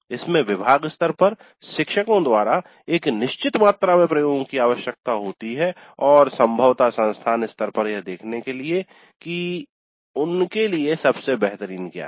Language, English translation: Hindi, It does require certain amount of experimentation from the faculty at the department level, probably at the institute level also to see what works best for them